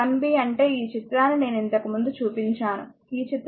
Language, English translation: Telugu, 1 b means this figure I showed you earlier this figure, this figure 2